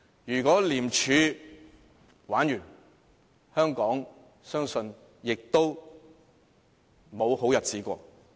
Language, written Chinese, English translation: Cantonese, 如果廉署"玩完"，相信香港亦沒有好日子過。, If ICAC is finished there probably will not be any good day for Hong Kong